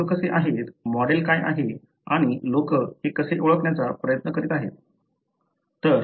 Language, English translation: Marathi, How people are, what is the model and how people are trying to identify this